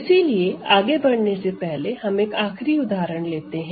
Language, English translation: Hindi, So, I will do one final example before we continue